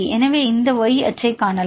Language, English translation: Tamil, So, now, we can see this y axis